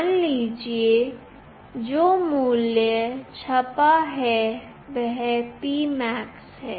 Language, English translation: Hindi, Suppose, the value which is printed is P max